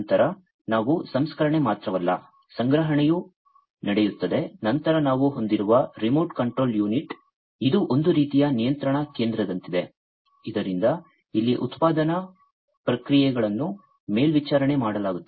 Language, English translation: Kannada, Then we are also the processing not only the processing, but also the storage take place then we have, the remote control unit, this is sort of like the control station from which the production processes over here are all going to be monitored